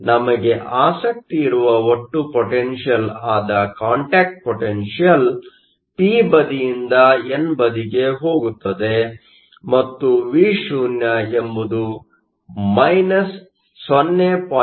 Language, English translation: Kannada, The total potential which is the contact potential which we are interested in goes from the p side to the n side and Vo is nothing but 0